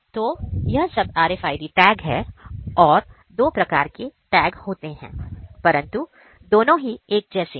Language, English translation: Hindi, So, these are RFID tags all these tags these are two different types of tags, but although the thing is same